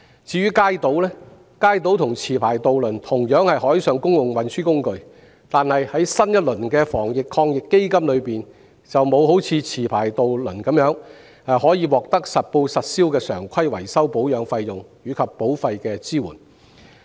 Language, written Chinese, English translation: Cantonese, 至於街渡，雖然與持牌渡輪同樣是海上公共運輸工具，但在新一輪防疫抗疫基金中，不能享有持牌渡輪的優惠，即實報實銷的常規維修保養費及保費的支援。, As for Kaito though it is a means of water transport carrier just like licensed ferry operators Kaito operators cannot enjoy the benefit given to licensed ferry operators in the new round of the Anti - epidemic Fund that is reimbursement of the actual regular repair and maintenance costs